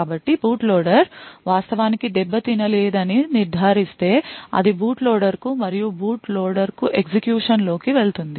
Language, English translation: Telugu, So, if it determines that the boot loader has is indeed not tampered then it would pass on execution to the boot loader and the boot loader with then execute